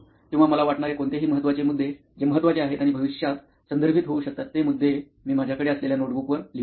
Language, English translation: Marathi, Or any important key points which I think are important and could be referred in future, I write those points with the notebook which I have